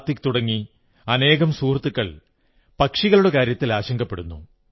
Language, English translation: Malayalam, Kartik and many such friends have expressed their concern about birds during the summer